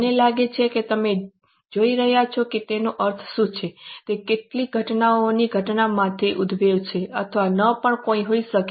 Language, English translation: Gujarati, I think you are seeing what is the meaning that it may or may not arise as per occurrence of some events